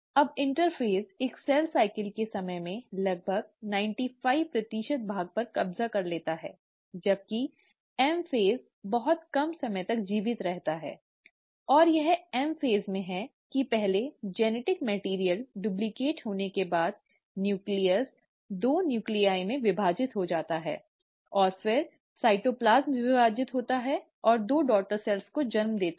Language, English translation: Hindi, Now interphase occupies almost ninety five percent of the time of a cell cycle, while ‘M phase’ is much short lived, and it's in the M phase that first the genetic material, after being duplicated, the nucleus divides into two nuclei and then the cytoplasm divides and gives rise to two daughter cells